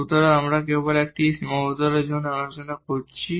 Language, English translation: Bengali, So, we are discussing just for under one constraint